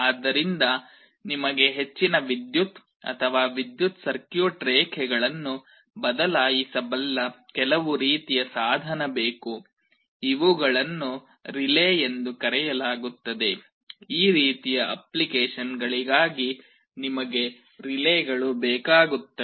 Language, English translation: Kannada, So, you need some kind of a device which can switch high power electric or circuit lines, these are called relays; you need relays for those kind of applications